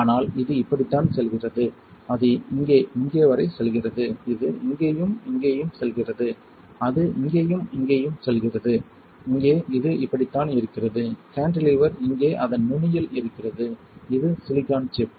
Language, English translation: Tamil, But this is how it goes it goes all the way here to here and this is how it is it goes here and all the way here and for here this is how it is and the cantilever is here right at the tip of it, right, this is the silicon chip